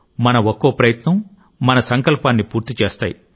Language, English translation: Telugu, Every single effort of ours leads to the realization of our resolve